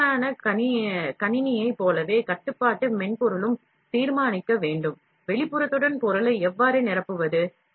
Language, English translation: Tamil, As with most system, the control software must also determine, how to fill the material with the outline